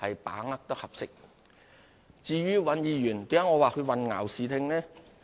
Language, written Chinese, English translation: Cantonese, 我為何說尹議員混淆視聽呢？, Why did I say Mr Andrew WAN has obscured the facts?